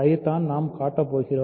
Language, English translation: Tamil, So, that is what we are going to show